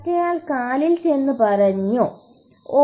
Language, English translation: Malayalam, The other one went on to the foot and said, Oh